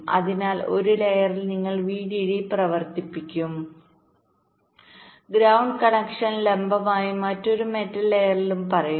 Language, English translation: Malayalam, so on one layer you will be running the vdd and ground connection, say vertically, and, and in another metal layer